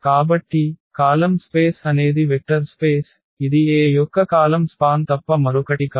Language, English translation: Telugu, So, column space is a vector space that is nothing but the span of the columns of A